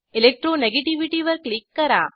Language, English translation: Marathi, Click on Electro negativity